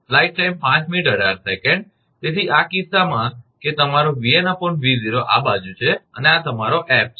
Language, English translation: Gujarati, So, in this case that your V n by V 0 this side and this is your F